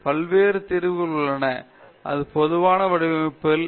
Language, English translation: Tamil, There are different solutions; that’s what normally happens in design